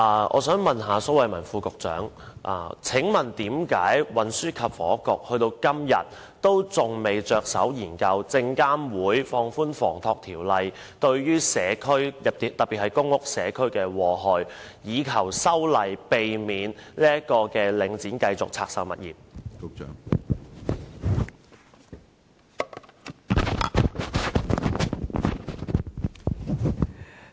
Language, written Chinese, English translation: Cantonese, 我想問蘇偉文局長，為何運輸及房屋局至今仍未着手研究證券及期貨事務監察委員會放寬《房地產投資信託基金守則》對社區，特別是公屋社區的禍害，並要求證監會修訂《守則》，以免領展繼續拆售物業？, May I ask Secretary Dr Raymond SO why the Transport and Housing Bureau has not yet commenced a study on how the communities especially PRH are affected by the relaxation of the Code on Real Estate Investment Trusts the Code by the Securities and Futures Commission SFC; and why it has not asked SFC to amend the Code to stop Link REIT from continuing to divest its properties?